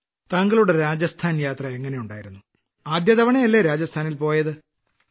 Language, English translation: Malayalam, How was your Rajasthan visit